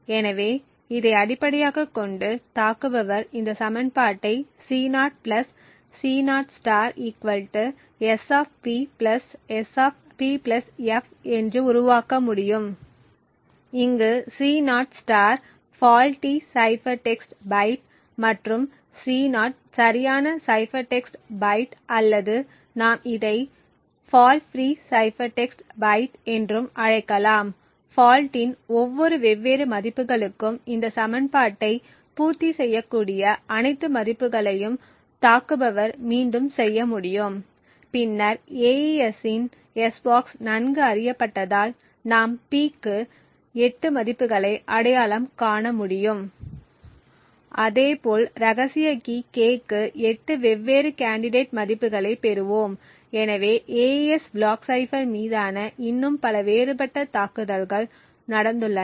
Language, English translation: Tamil, So, based on this the attacker can build this equation C0 + C0* = S[P] + S[P + f], where C0* zero star is the faulty cipher text byte and C0 is the correct cipher text byte or as we call it the fault free cipher text byte and for each of the different values of the fault, f the attacker would be able to iterate all possible values that satisfy this equation and then as the AES s box is well known we would then be able to identify 8 values for P and therefore we would obtain 8 different candidate values for the secret key k, so there have been a lot more different attacks for the AES block cipher